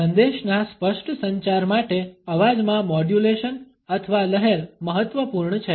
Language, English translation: Gujarati, Voice modulation or waviness is important for a clear communication of the message